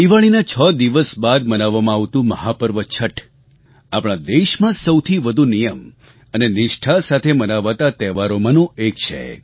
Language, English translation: Gujarati, The mega festival of Chatth, celebrated 6 days after Diwali, is one of those festivals which are celebrated in accordance with strict rituals & regimen